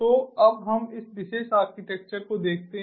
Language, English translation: Hindi, so let us now look at this particular architecture